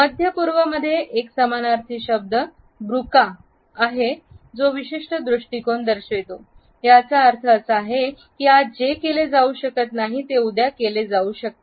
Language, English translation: Marathi, In the Middle East a synonymous world is Bukra which indicates a particular attitude, it means that what cannot be done today would be done tomorrow